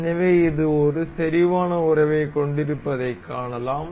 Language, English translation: Tamil, So, you can see this has a concentric relation